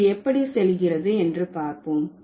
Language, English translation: Tamil, So, let's see how it goes